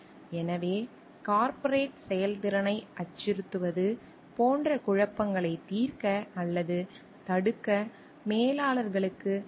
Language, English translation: Tamil, So, managers have the authority and responsibility to resolve or prevent conflicts that called like threaten corporate efficiency